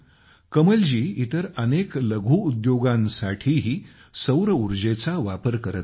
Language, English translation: Marathi, Kamalji is also connecting many other small industries with solar electricity